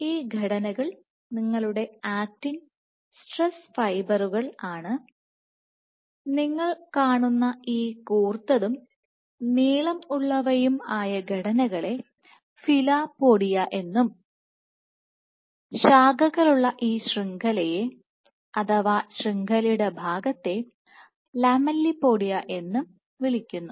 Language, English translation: Malayalam, So, these structures your actin stress fibers this long pointed extensions that you see are called filopodia and this branched network this portion of the network is lamellipodia